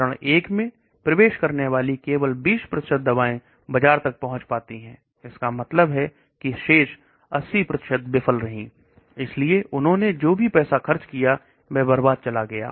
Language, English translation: Hindi, So only 20% of drugs that enter phase 1 make it to the market, that means remaining 80% failed, so whatever money they have spent goes down the drain